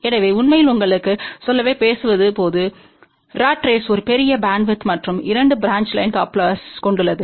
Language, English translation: Tamil, So, actually speaking just to tell you in general ratrace has a larger bandwidth and 2 branch line coupler